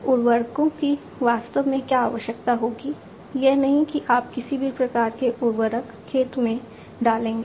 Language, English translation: Hindi, What fertilizers exactly would be required, not that you know you put in any kind of fertilizer it will be